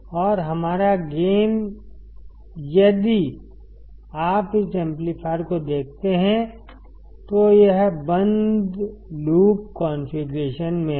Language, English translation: Hindi, And our gain, if you see this amplifier it is in the closed loop configuration